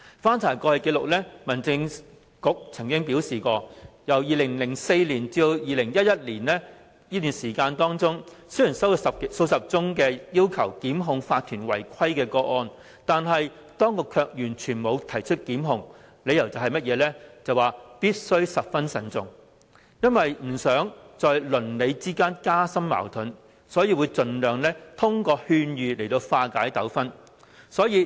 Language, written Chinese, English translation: Cantonese, 根據過去紀錄，民政事務局表示，在2004年至2011年期間，雖然接獲數十宗要求檢控法團違規的個案，但當局沒有提出檢控，理由是"必須十分慎重"，由於不想加深鄰里之間的矛盾，所以盡量以勸諭方式化解糾紛。, According to past records during the period between 2004 and 2011 dozens of requests for instituting prosecutions against malpractices of OCs were received by the Home Affairs Bureau but no prosecutions were instituted because the cases had to be taken very seriously . Since the authorities did not want to aggravate conflicts among neighbours they would strive to resolve disputes by giving advice only